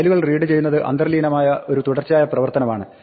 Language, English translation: Malayalam, Reading files is inherently a sequential operation